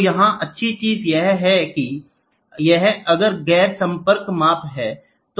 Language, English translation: Hindi, So, here what is the beauty that is non contact measurement